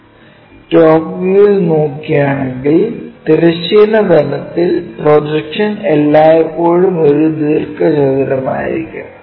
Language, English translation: Malayalam, Anyway projection on the horizontal plane if we are looking the top view always be a rectangle